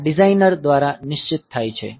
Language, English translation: Gujarati, So, this is fixed by the designer